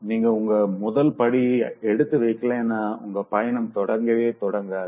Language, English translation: Tamil, If you don't take the first step so your journey will never come once